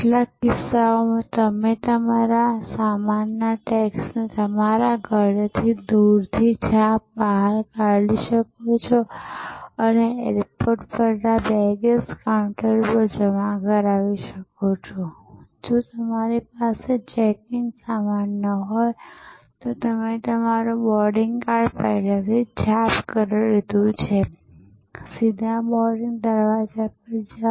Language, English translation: Gujarati, In some cases, you can print out your luggage tags remotely from your home and just deposited at the baggage counter at the airport and if you do not have check in baggage, you have already printed your boarding card, use straight go to the boarding gate